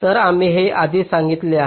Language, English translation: Marathi, so this something which we already said